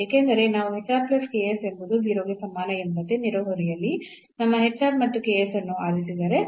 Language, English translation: Kannada, Because if we choose our hr and ks in the neighborhood such that this hr plus ks is 0